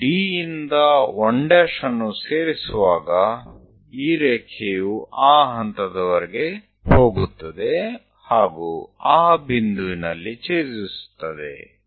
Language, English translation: Kannada, When we are joining D to 1 dash, this line goes all the way intersect at that point, then finally goes all the way